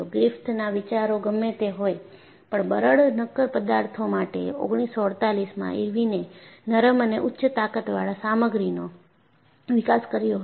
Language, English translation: Gujarati, Whatever the ideas generated by Griffith, for brittle solids was extended to ductile, high strength materials by Irwin in 1948